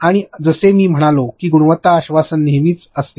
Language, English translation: Marathi, And like I said quality assurance is always there